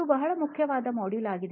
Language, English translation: Kannada, This is a very, very important module